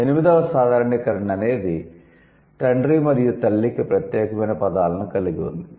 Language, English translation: Telugu, And the eight generalization was all about having separate words for father and mother, right